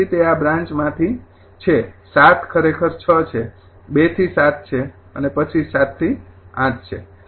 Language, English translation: Gujarati, six is actually two to seven, six is two to seven, then seven to eight